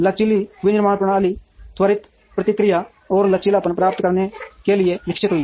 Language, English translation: Hindi, Flexible manufacturing systems evolved to achieve quick response and flexibility